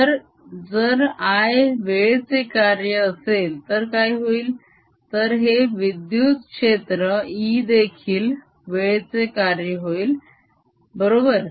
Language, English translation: Marathi, if this i is a function of time, then this electric field here, e, becomes a function of time, right